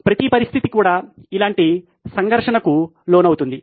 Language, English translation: Telugu, The situation per se is also subjected to such a conflict